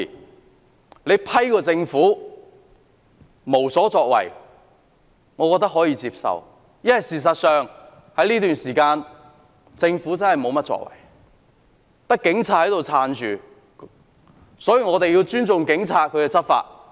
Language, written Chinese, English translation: Cantonese, 我認為批評政府無所作為是可以接受的，因為政府在這段時間確是無所作為，單靠警方支撐，所以我們必須尊重警察執法。, I consider it acceptable to criticize the Government for its inaction because it has not done anything during this period but simply relied on the Police to enforce the law . We must therefore respect the Police for enforcing the law